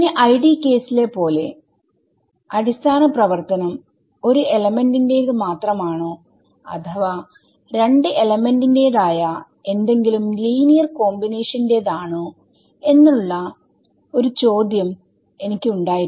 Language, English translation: Malayalam, So, again like in 1 D case I had a choice whether the basis function should be belonging only to 1 element or linear combination of something that belongs to both elements right